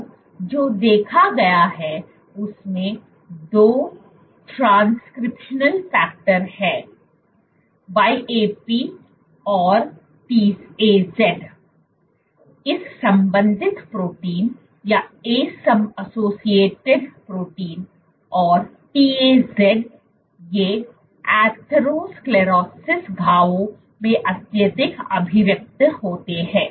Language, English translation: Hindi, Now what has been observed is there are 2 transcriptional factors YAP and TAZ; ace associated protein and TAZ these are highly expressed in atherosclerosis lesions